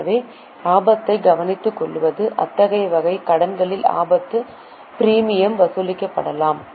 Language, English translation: Tamil, So, to take care of risk, risk premium can be charged on such types of loans